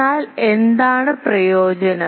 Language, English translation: Malayalam, But what was the advantage